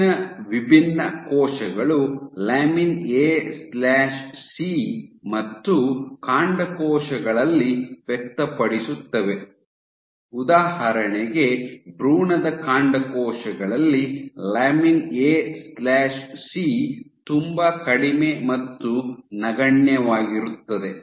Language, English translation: Kannada, So, most differentiated cells express lamin A/C and in stem cells for example, in embryonic stem cells lamin A/C is very low negligible